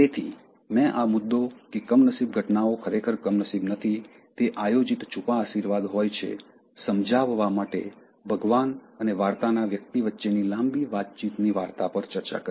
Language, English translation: Gujarati, So, I discussed a long conversational story between God and the person of the story to illustrate this point that, unfortunate events are not really unfortunate they are planned, disguised blessings